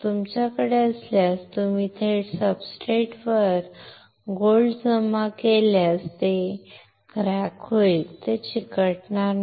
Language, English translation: Marathi, If you have, if you directly deposit gold on the substrate it will crack it will not stick